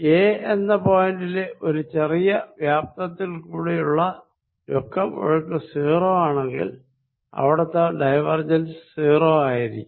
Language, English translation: Malayalam, If net flow in flow in a through a small volume is 0 and at that point divergence is going to be 0